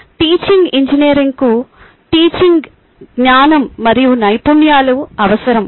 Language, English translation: Telugu, teaching engineering needs knowledge and skills